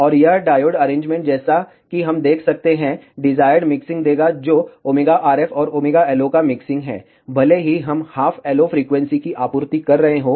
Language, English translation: Hindi, And this diode arrangement as we can see, will give the desired mixing which is the mixing of omega RF and omega LO, even if we are supplying half the LO frequency